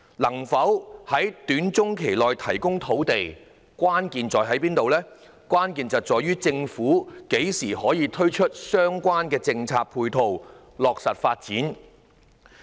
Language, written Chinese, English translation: Cantonese, 能否在短中期提供土地，關鍵在於政府何時可以推出相關的政策配套，落實發展。, The crux of whether land can be supplied in the short - to - medium term lies in the time when the Government can provide relevant policy support and realize such development